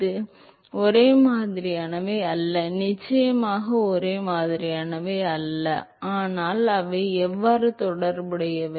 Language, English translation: Tamil, Yeah, they are not same, is definitely not same, but how are they related